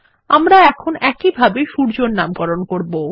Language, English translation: Bengali, Let us now name the sun in the same way